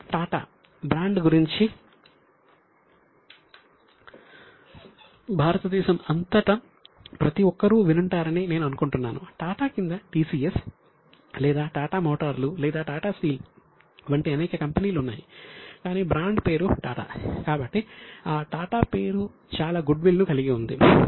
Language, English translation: Telugu, There are several companies under Tattas like TCS or Tata Motors or Tata Steel, but the brand name is Tata